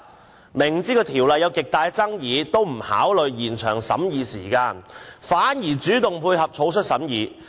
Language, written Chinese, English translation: Cantonese, 政府雖然知道《條例草案》有極大爭議，卻不考慮延長審議時間，反而主動配合草率審議。, Although the Government knew that the Bill was highly controversial it had not considered extending the deliberation period but took the initiative to tie in with the sloppy deliberations